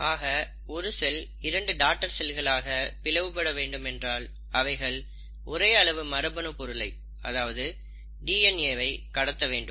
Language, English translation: Tamil, So, if a cell has to divide into two daughter cells, it has to pass on the same amount of genetic material, which is DNA